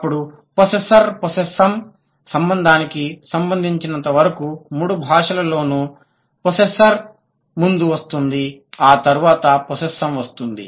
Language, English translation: Telugu, Then as far as the possessor, possessor relation is concerned, in all the three languages, the possessor occurs before then the possessum